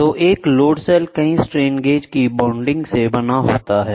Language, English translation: Hindi, So, a load cell is made up of bonding of several strain gauges